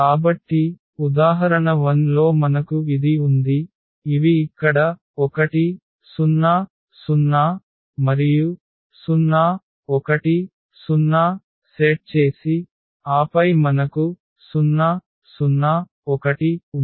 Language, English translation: Telugu, So, in the example 1 we have this, these set here 1 0 0 and 0 1 0 and then we had 0 0 1